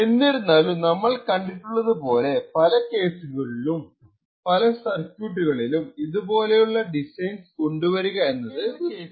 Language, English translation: Malayalam, However, as we have seen there are many cases or many circuits where making such designs is incredibly difficult to do